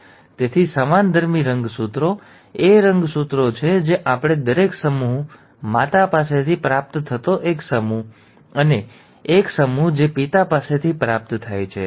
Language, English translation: Gujarati, Now, so the homologous chromosomes are the chromosomes that we are receiving each set, one set receiving from mother, and one set receiving from father